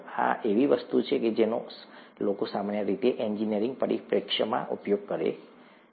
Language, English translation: Gujarati, This is something that people normally used from an engineering perspective